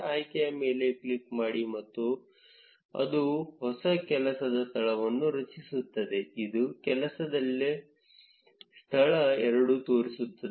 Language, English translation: Kannada, Click on the option and it will generate a new work space which is work space two